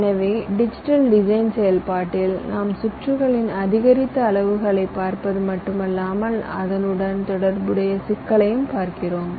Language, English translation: Tamil, ok, so in the digital design process we are not only looking at the increased sizes of this circuits but also the associated complexity involved